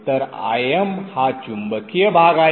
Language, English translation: Marathi, So this is IM, the magnetizing part